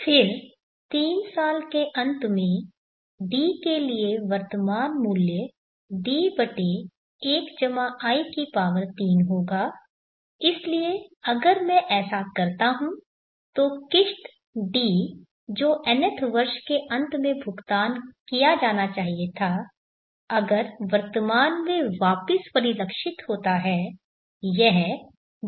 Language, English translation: Hindi, Then the present worth for D at the end of 3rd year will be D/1+I3 so on if I keep doing the installment D which is supposed to have been paid at the end of the nth year if it is reflected back to the present it will be D/1+In